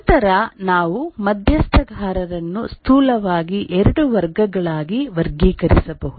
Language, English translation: Kannada, But then we can roughly categorize the stakeholders into two categories